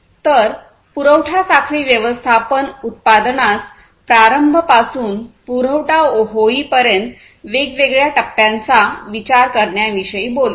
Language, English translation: Marathi, So, supply chain management talks about consideration of the different stages through which the production system starting from the production till the supply goes through